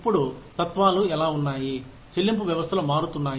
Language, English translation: Telugu, Now, how are philosophies, regarding pay systems changing